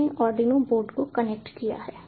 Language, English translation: Hindi, i have connected the arduino board